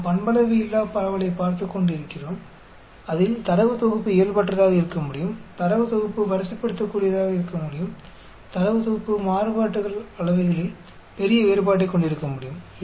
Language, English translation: Tamil, We have been looking at nonparametric distribution where the data set could be non normal, data set could be ordinal, the data set could have large difference in the variances